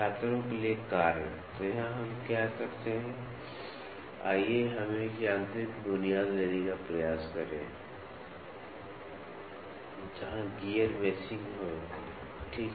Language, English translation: Hindi, Task for Students; so, here what we do is, let us try to take a mechanical set up where there is gear meshing, ok